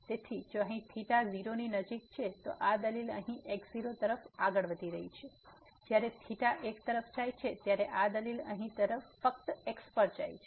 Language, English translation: Gujarati, So, here if theta is close to 0 then this argument here is moving to naught when theta goes to one this argument here goes to simply